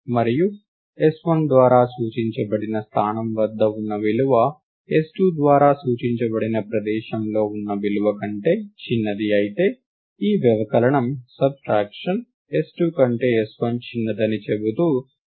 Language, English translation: Telugu, And if s1 the value at the location that is pointed to by s1 is smaller than the value at the location pointed to by s2, then this subtraction will return a negative value saying that s1 is smaller than s2